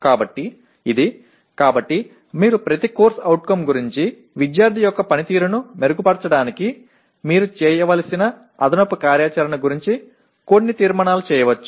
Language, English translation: Telugu, So this is, so you can draw some conclusions about each CO what additional activity that you should do to improve the performance of the student